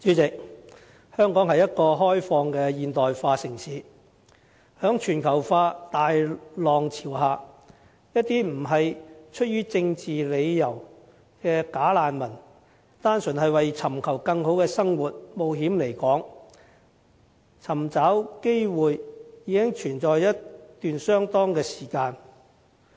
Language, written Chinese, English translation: Cantonese, 主席，香港是一個開放的現代化城市，在全球化大浪潮下，一些不是出於政治理由的"假難民"單純為尋求更好的生活，冒險來港尋找機會的問題，已經存在相當一段時間。, President Hong Kong is an open and modern city . Under the tide of globalization we have long since faced the problem of non - political bogus refugees coming to Hong Kong simply to pursue a better life and opportunities in spite of all the risks